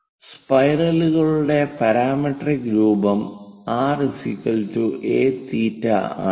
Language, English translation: Malayalam, And the parametric form for spiral is r is equal to a theta